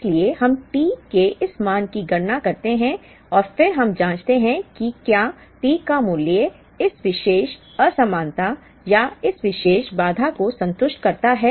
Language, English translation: Hindi, So, we compute this value of T and then we check whether the value of T here satisfies this particular inequality or this particular constraint